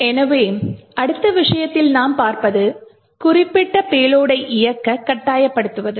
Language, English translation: Tamil, So, the next thing we will actually look at is to force up specific payload to execute